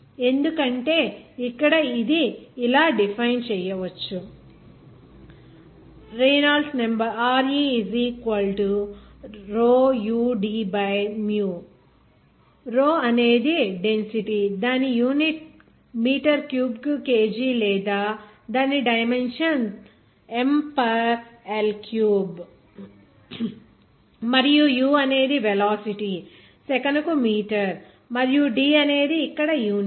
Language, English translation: Telugu, Because here, you will see that it is defined by this Rou is the density its unit is kg per meter cube or its dimension is M per L cube and u is the velocity that is meter per second and d is the unit here